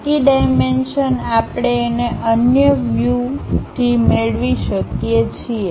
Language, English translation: Gujarati, The remaining dimensions we can get it from the other views